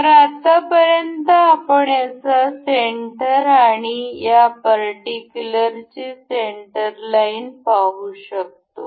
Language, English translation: Marathi, So, for now, we cannot see the center of this so far and the center line of this particular curve